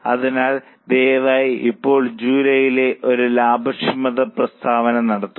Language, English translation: Malayalam, So, please make a profitability statement for July now